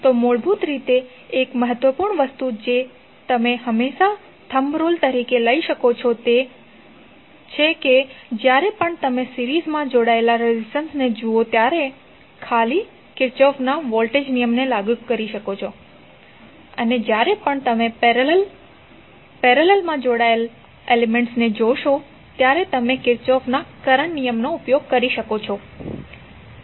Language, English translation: Gujarati, So basically one important thing which you can always take it as a thumb rule is that whenever you see elements connected in series you can simply apply Kirchhoff’s voltage law and when you see the elements connected in parallel fashion, you can use Kirchhoff’s current law